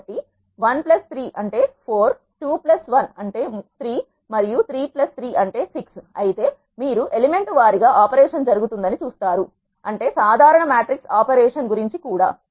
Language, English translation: Telugu, So, 1 plus 3 is 4, 2 plus 1 is 3, and 3 plus 3 is 6 you will see the element wise operation happens that is what normal matrix operation is also about